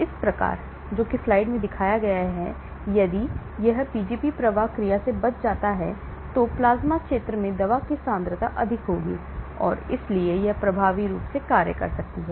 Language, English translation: Hindi, Thereby, if it can escape the Pgp efflux action, the concentration of the drug in the plasma region will be high and hence it may act effectively